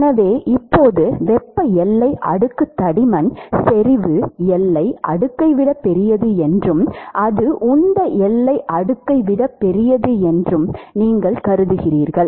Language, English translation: Tamil, So, right now you assume that the thermal boundary layer thickness is larger than the concentration boundary layer and that is larger than the momentum boundary layer